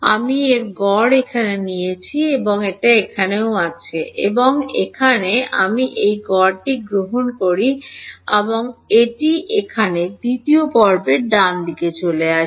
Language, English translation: Bengali, I take the average of this in this there is also E y here and E y here I take the average of this and that pops in over here in to the second component right